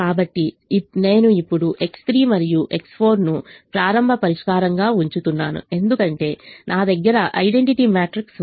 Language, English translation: Telugu, so we now keep x three and x four as the starting solution because i have the identity matrix